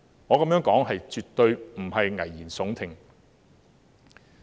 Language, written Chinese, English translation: Cantonese, 我這樣說絕對不是危言聳聽。, I am absolutely not raising any alarmist talk